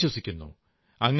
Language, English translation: Malayalam, We don't trust them